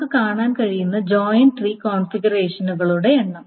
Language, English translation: Malayalam, This is the number of joint tree configurations that we can see